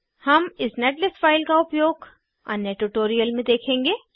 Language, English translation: Hindi, We will see the use of this netlist file in another tutorial